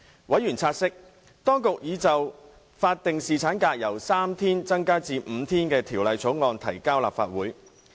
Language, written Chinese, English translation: Cantonese, 委員察悉，當局已就法定侍產假由3天增至5天的法案提交立法會。, Members noted that the authorities already introduced a bill on increasing statutory paternity leave from three days to five days into the Legislative Council